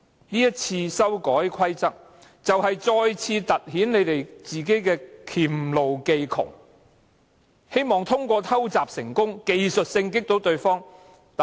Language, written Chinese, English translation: Cantonese, 這一次修改規則就是再次突顯自己的黔驢技窮，希望通過偷襲成功，技術性擊倒對手。, The current amendment of RoP once again indicates that the camp is at its wits end and just hopes for a technical knockout of its opponent in this sneak attack